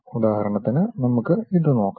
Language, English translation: Malayalam, For example, let us look at this